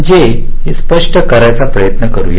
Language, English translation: Marathi, lets try to explain this